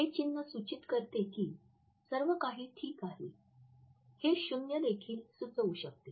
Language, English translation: Marathi, It can be symbol which denotes that everything is all right, it may also suggest that it is zero